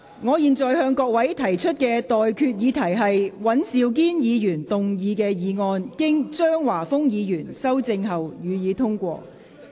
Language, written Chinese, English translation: Cantonese, 我現在向各位提出的待決議題是：尹兆堅議員動議的議案，經張華峰議員修正後，予以通過。, I now put the question to you and that is That the motion moved by Mr Andrew WAN as amended by Mr Christopher CHEUNG be passed